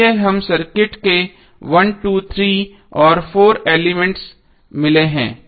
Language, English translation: Hindi, So we got 1, 2, 3 and 4 elements of the circuit